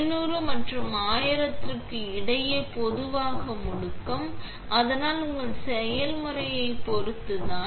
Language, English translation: Tamil, And the acceleration normally between 500 and 1000, but itÃs depending on your process